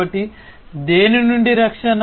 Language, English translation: Telugu, So, protecting against what